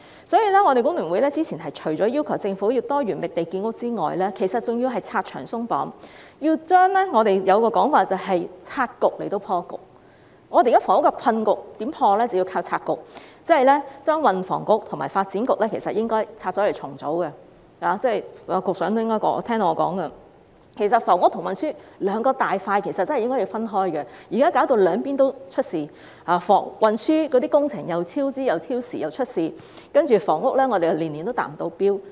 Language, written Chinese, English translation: Cantonese, 所以，我們工聯會早前除了要求政府要多元覓地建屋外，還要拆牆鬆綁，即我們所說的"拆局以破局"，我們現時的房屋困局要透過拆局來解決，即是說，應該把運輸及房屋局和發展局分拆重組——局長應該聽到我的說話——房屋和運輸兩個大板塊真的應該分開，現在弄至兩邊也出現問題，運輸工程既超支又超時，而房屋方面，又年年未能達標。, Our present housing predicament should be resolved by breaking up the Policy Bureau . That is to say the Transport and Housing Bureau and the Development Bureau should be split up and restructured―the Secretary should get what I am saying―housing and transport which are two large domains should really be separate from each other . Now it turns out that there are problems on both sides